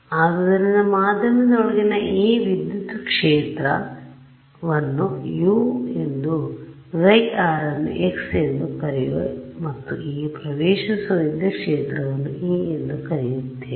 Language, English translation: Kannada, So, this electric field inside the medium, I am going to call it u it this chi r I am going to call it x, and this incident electric field I am going to call it small e ok